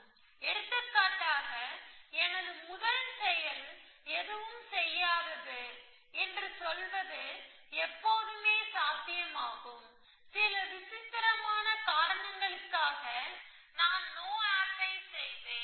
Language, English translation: Tamil, So, for example it is always possible for me to say that my first action is to do nothing, for some strange reason that I will do a no op